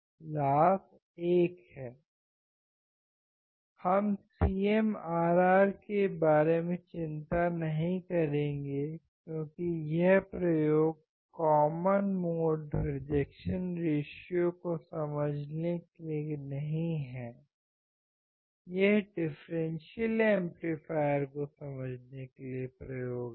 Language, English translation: Hindi, We will not worry about CMRR because this experiment is not to understand common mode rejection ratio; these are experiment to understand the differential amplifier right